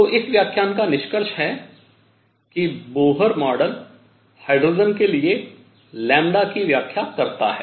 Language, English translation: Hindi, So, to conclude this lecture, Bohr model explains lambda for hydrogen